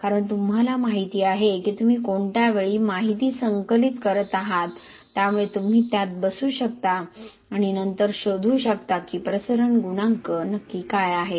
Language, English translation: Marathi, Because you know the time at which you are collecting the data, so you can fit it and then find exactly what is the diffusion coefficient